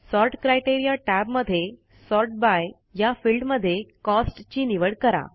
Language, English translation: Marathi, In the Sort criteria tab, select Cost in the Sort by field